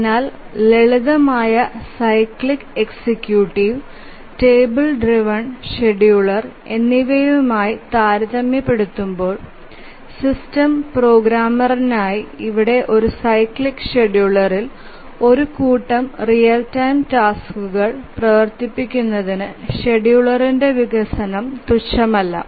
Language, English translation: Malayalam, So, compared to the simple cyclic executive and the table driven scheduler, here for the system programmer who is trying to run a set of real time tasks on a cyclic scheduler, the development of the schedule is non trivial